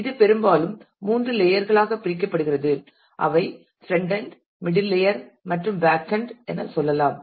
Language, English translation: Tamil, And it is often split into three layers as we will say frontend middle layer and backend